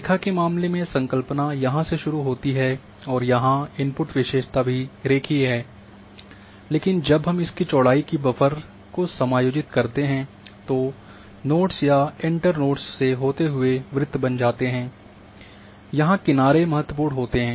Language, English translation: Hindi, In case of line the concept starts like here that the input feature here is line, but we are having when we give this offset of the width of the buffer then all along the nodes or the enter nodes circles are created and important note here on the edges